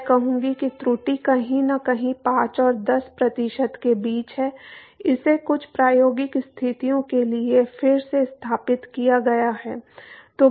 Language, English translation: Hindi, I would say that the error is somewhere between five and ten percent again this is been verified for some experimental conditions